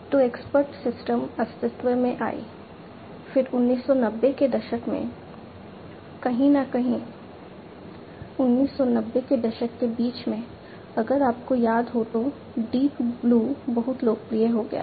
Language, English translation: Hindi, So, expert systems came into being, then in the 1990s, somewhere in the middle; middle of 1990s if you recall the Deep Blue became very popular